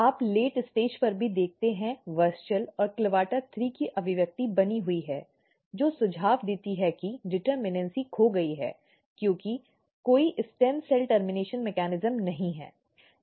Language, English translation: Hindi, You can see even at the late stage, the expression of WUSCHEL and CLAVATA THREE are maintained which suggest that the determinacy is lost because there is no stem cell termination mechanism